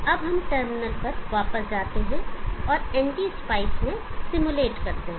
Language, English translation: Hindi, Now let us go back to the terminal and simulate an NG spice